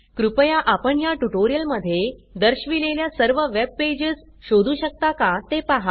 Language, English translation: Marathi, Please see if you can locate all the web pages shown in this tutorial